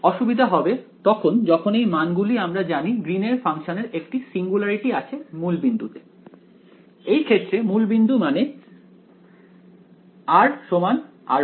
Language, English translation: Bengali, The trouble will happen when these quantities begin to well we know that Green’s functions have a singularity at the origin; origin in this case means when r is equal to r prime